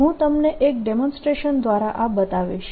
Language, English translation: Gujarati, let me show this to you through a demonstration